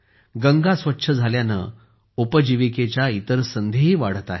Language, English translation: Marathi, With Ganga's ecosystem being clean, other livelihood opportunities are also increasing